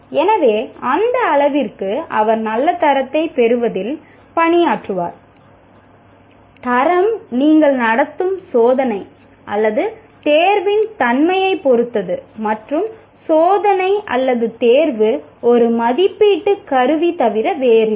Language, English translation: Tamil, So to that extent he will work towards getting that good grade, that grade is dependent on the nature of the test or examination that you conduct and a test or examination is nothing but an assessment instrument